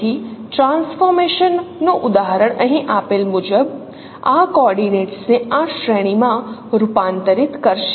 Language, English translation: Gujarati, So the example of a transformation will convert these coordinates into these ranges is given here